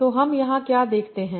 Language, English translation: Hindi, So what do we see here